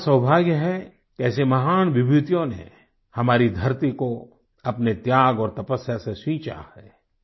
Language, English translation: Hindi, It is our good fortune that such great personalities have reared the soil of India with their sacrifice and their tapasya